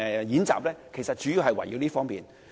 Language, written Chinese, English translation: Cantonese, 演習的內容主要關乎這些方面。, The contents of the drills are about these things mainly